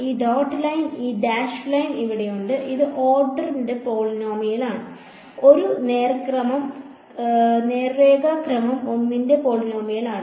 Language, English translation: Malayalam, This dotted line this dash line over here, this is a polynomial of order 1 straight line is polynomial of order 1